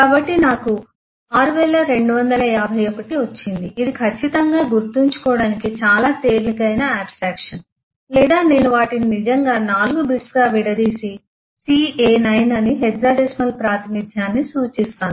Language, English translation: Telugu, So I I got 6251 this is certainly a much easier abstraction to remember or I could actually chunk them into 4 bits together and represent a hexadecimal representation of ca9